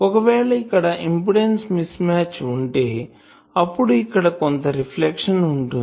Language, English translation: Telugu, So, here if there is an impedance mismatch, then there will be some reflection